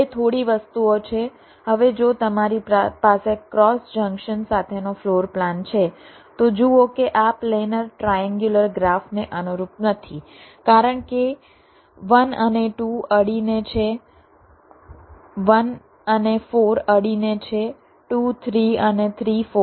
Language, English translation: Gujarati, if you have a floor plan with a cross junction see, this will not correspond to a planer triangular graph because one and two, an adjacent one and four are adjacent, two, three and three, four